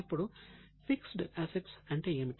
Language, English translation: Telugu, Now what do you mean by fixed assets